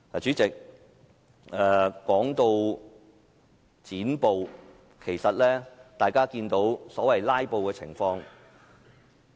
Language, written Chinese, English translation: Cantonese, 主席，說到"剪布"，大家看到所謂"拉布"情況。, President as regards cutting off of filibusters we have all seen the so - called filibusters in the Council